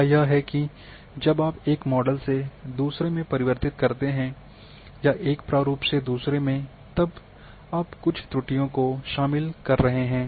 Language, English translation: Hindi, Is that when you convert from one model to another,one format to another you are introducing some errors